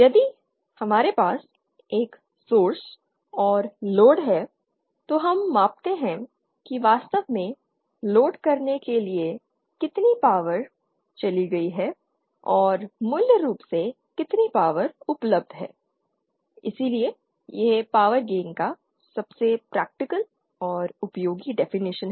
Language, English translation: Hindi, If we have a source and load then we measure how much power has actually gone to the load and how much power was originally available from the source and that’s why this is the most practical and most useful definition of power gain